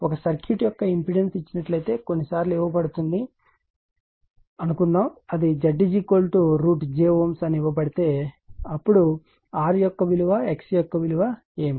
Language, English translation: Telugu, Suppose sometimes is given suppose if it is given that impedance of a circuit , suppose if it is given that Z is equal to say root j , a ohm it is given then what is the value of r what is the value of x right